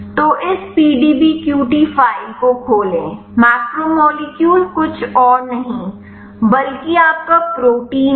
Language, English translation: Hindi, So, open this PDBQT file macromolecule is nothing, but your protein